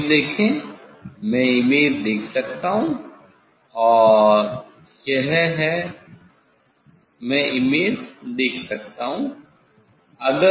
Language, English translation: Hindi, See the image; see the image, I can see the image and it is, I can see the image